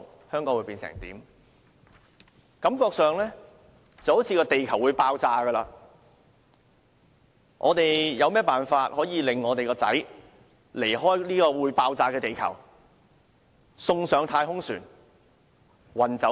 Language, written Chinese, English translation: Cantonese, 他們感到地球好像會爆炸，於是便設法令自己的兒子離開這個會爆炸的地球，把他送上太空船運走。, They felt as if the Earth was going to explode and so they pulled all stops to send their son away from this Earth on the verge of explosion putting him on a spaceship and sending him away